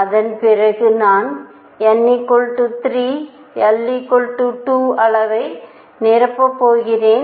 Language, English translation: Tamil, And after that I am going to fill n equals 3 l equals 2 level